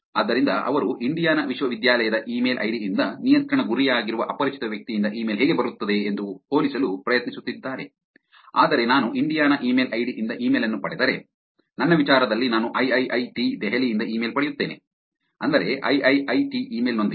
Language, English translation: Kannada, So, they were trying to compare how the email from Indian university email id, but from an unknown person that is a control goal, if I get an email from Indiana email id which in my case I get an email from somebody who is from IIIT, Delhi with the iiit email